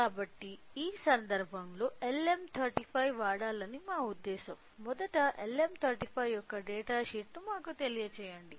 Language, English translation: Telugu, So, in this case since our intention was to go with LM35, first let us you know the data sheet of LM35